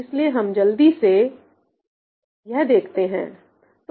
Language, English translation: Hindi, So, let us just quickly see that